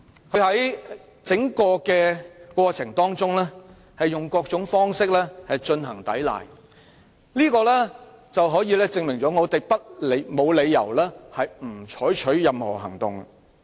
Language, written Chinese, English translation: Cantonese, 何君堯議員在整個過程中以各種方式抵賴，證明我們沒有理由不採取任何行動。, In the entire process Dr Junius HO tried to deny everything by putting forth various excuses . This is proof that we have no reason to refrain from taking any action